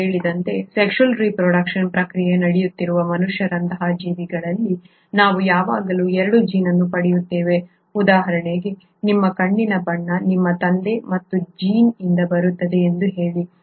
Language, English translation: Kannada, As I said, in organisms like human beings, where there is a process of sexual reproduction taking place, we always get 2 copies of a gene, say for example if for your eye colour you will have a gene coming from your father and a gene coming from your mother